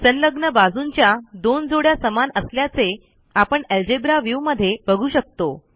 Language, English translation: Marathi, We can see from the Algebra View that 2 pairs of adjacent sides are equal